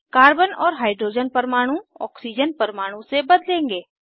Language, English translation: Hindi, Carbon and Hydrogen atoms will be replaced by Oxygen atom